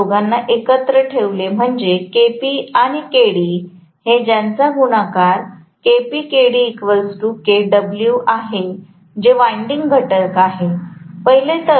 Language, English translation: Marathi, So these two put together, that is Kp and Kd the product of these two will always be called as Kw which is the winding factor